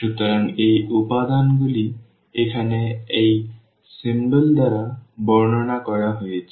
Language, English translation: Bengali, So, these elements denoted by this symbol here